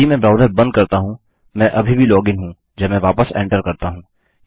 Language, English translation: Hindi, If I close the browser I am still going to be logged in when I enter back